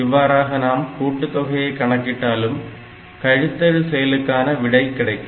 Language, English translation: Tamil, So, my operation is a subtract operation, but I do an addition